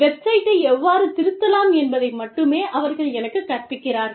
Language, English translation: Tamil, They are only teaching me, how to edit the website